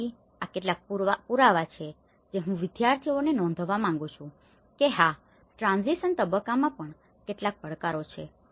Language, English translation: Gujarati, So, these are some of the evidences which I want to bring to the students notice that yes, there are some challenges in the transition phase as well, okay